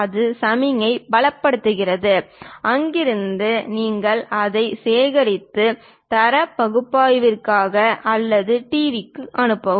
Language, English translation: Tamil, That strengthens the signal; from there, you collect it, pass it for data analysis or for the TV